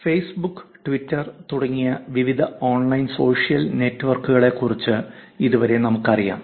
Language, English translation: Malayalam, So far we know about various online social networks like Facebook and Twitter